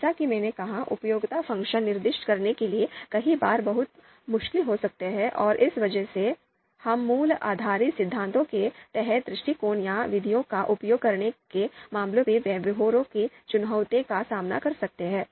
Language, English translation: Hindi, As I said, utility function could be many many times, could be very difficult to specify, and because of this, we might face practical challenges in terms of using the approaches the methods under value based theories